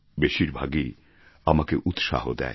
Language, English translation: Bengali, Most of these are inspiring to me